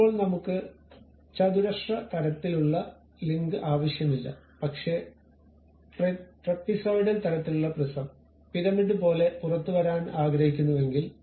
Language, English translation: Malayalam, Now, I do not want the square kind of link, but something like trapezoidal kind of prism coming out of it more like a pyramid